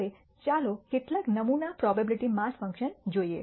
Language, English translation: Gujarati, Now, let us look at some sample probability mass functions